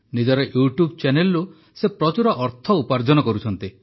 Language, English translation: Odia, He is earning a lot through his YouTube Channel